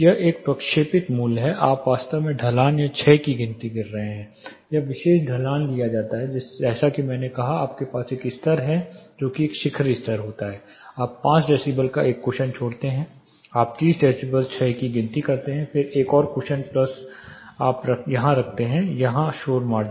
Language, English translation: Hindi, It is an interpolated value you are actually counting the slope or the decay this particular slope is taken, as I said you have level one that is a peak level you leave cushion, 5 decibel, you count 30 db decay, then another cushion plus you keep a noise margin here